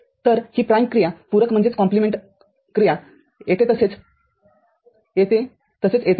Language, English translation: Marathi, So, this prime operation the compliment operation comes here as well as here as well as here